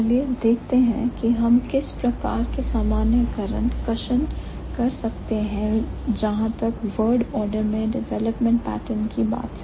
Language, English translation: Hindi, So, now let's see what kind of generalizations we can draw as far as the development pattern is concerned for the word order